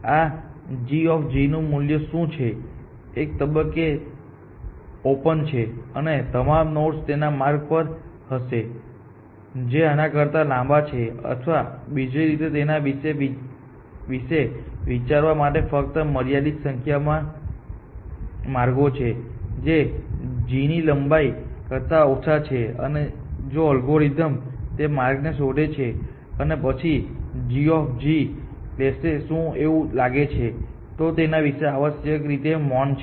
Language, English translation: Gujarati, So, what is the value of this sum g of g the some value at some point all other nodes that you have in open will have paths which are longer than this; or to think of it in another manner, there are only a finite number of paths which are shorter than this lengths g of g; and even if the algorithm will explore all those paths and then it will take of g of g